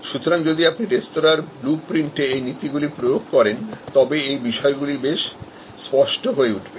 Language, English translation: Bengali, So, if you apply these principles to the restaurant blue print, these issues will become quite clear